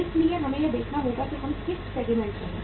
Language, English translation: Hindi, So we will have to see that in which segment we are